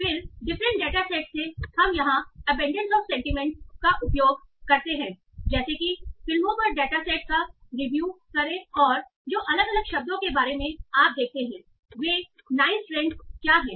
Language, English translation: Hindi, And then from the different data sets where you see abundance of sentiments like review data set over movies and all, what are the nice strands you see about different words